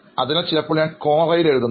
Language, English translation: Malayalam, So I am active on Quora, so sometimes I do write on Quora